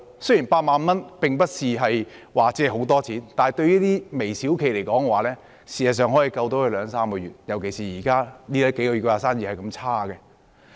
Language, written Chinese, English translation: Cantonese, 雖然8萬元並不是很多錢，但對於微小企而言，這筆錢事實上可以拯救他們兩三個月，尤其是這數個月的生意那麼差。, Though 80,000 is not a substantial amount the sum will enable those micro - enterprises to survive another two to three months particularly during these few months when the businesses are really bad